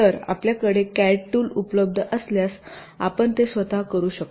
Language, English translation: Marathi, so if you have the cat tool available with you you can do it yourself